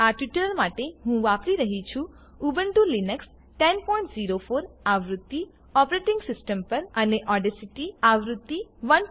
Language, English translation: Gujarati, For this tutorial, I am using the Ubuntu Linux 10.04 version operating system and Audacity version 1.3